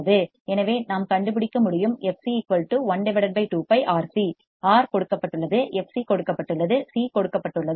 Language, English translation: Tamil, So, I can find fc as it equals to one upon 2 pi R C; R is given; f c is given; C is given